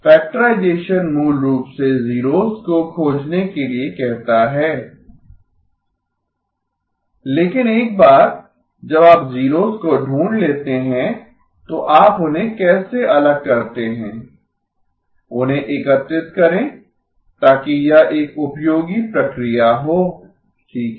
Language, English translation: Hindi, Factorization basically says find the zeros but once you have found the zeros how do you separate them; aggregate them so that that is a useful process okay